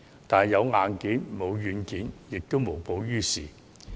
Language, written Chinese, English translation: Cantonese, 但有硬件，沒有軟件亦於事無補。, However the problem cannot be resolved with only the hardware but without the software